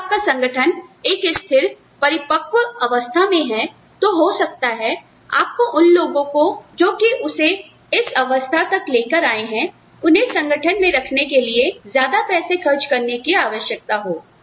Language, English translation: Hindi, When your organization is at a stable mature stage, maybe, you need to spend money, you need to keep these people, who have taken it to that stage